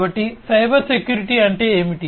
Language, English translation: Telugu, So, what is Cybersecurity